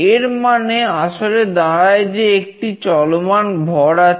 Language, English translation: Bengali, What it means basically is there is a moving mass